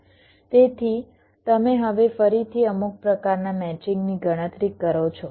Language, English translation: Gujarati, so now again you, you compute a, some kind of matching